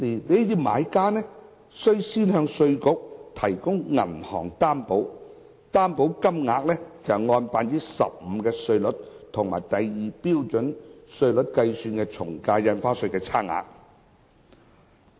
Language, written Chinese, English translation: Cantonese, 這些買家須向稅務局提供銀行擔保，而擔保金額為按 15% 新稅率及第2標準稅率計算的從價印花稅稅款差額。, Buyers are required to provide IRD with a bank guarantee of an amount equal to the difference between stamp duty payments calculated at the 15 % new rate and the Scale 2 rates